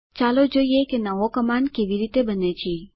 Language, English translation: Gujarati, Lets take a look at how a new command is created